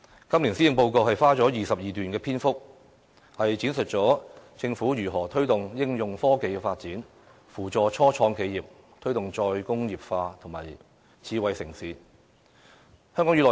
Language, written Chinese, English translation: Cantonese, 今年施政報告花了22段篇幅，闡述了政府如何推動應用科技發展、扶助初創企業、推動"再工業化"和發展智慧城市。, In this years Policy Address there are altogether 22 paragraphs elaborating on how the Government will promote the development of applied scientific research help those start - ups promote re - industrialization and develop a smart city